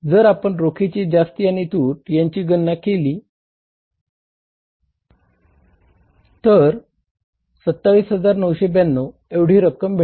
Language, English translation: Marathi, If you calculate the excess or deficit of the cash, how much it works out as 27,992